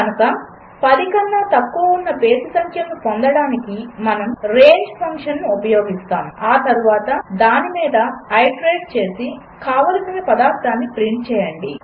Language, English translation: Telugu, So, we use the range function to get a list of odd numbers below 10, and then iterate over it and print the required stuff